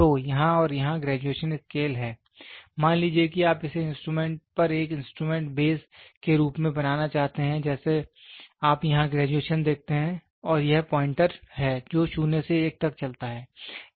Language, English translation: Hindi, So, at and here is the graduation scale, suppose you wanted to make it as an instrument bases on instrument you see the graduations here and this is the pointer which moves from 0 to 1